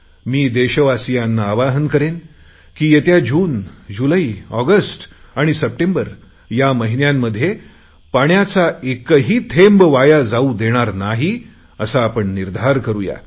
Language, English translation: Marathi, I urge the people of India that during this June, July, August September, we should resolve that we shall not let a single drop of water be wasted